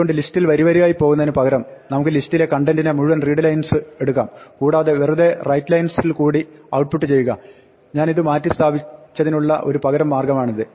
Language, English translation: Malayalam, So, instead of going line by line through the list readlines we can take the entire list contents and just output it directly through writelines, this is an alternative way where I have replaced